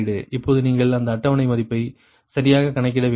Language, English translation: Tamil, now you have to compute that schedule value, right